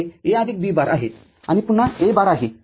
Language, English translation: Marathi, So, this is A plus B bar and again another bar